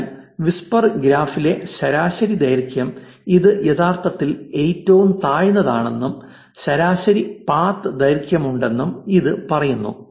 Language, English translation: Malayalam, So, this just says that average length in the graph, if you take the whisper graph is actually the lowest and there is average path length